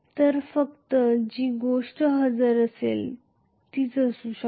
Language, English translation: Marathi, So, only thing that may be present is this